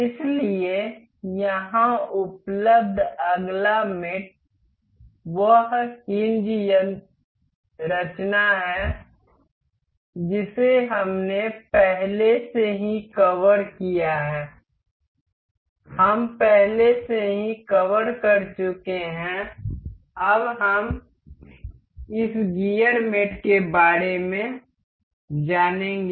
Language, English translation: Hindi, So, the next mate available here is hinge mechanism that we have already covered, we have already covered now we will go about this gear mate